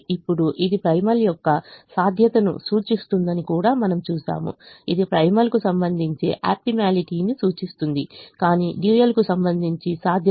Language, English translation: Telugu, this represents a feasibility of the primal, this represents the optimality with respect to the primal, but feasibility with respect to the dual